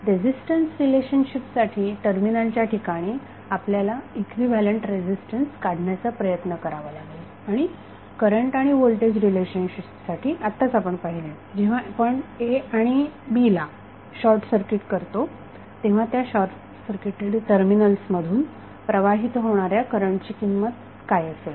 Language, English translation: Marathi, So, what we got we got the voltage relationship as well as resistance relationship for resistance relationship we try to find out the equivalent resistance across the terminals and for the current and voltage source relationship we just saw, when we short circuit a and b what would be the value of the current flowing through the short circuited terminal